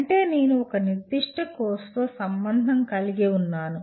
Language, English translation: Telugu, That means I am associated with a particular course